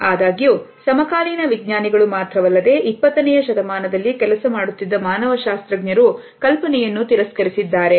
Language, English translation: Kannada, However, we find that not only the contemporary scientist, but also the anthropologist who were working in the 20th century had rejected this idea